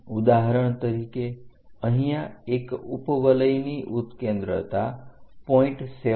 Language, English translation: Gujarati, For example, here an ellipse has an eccentricity 0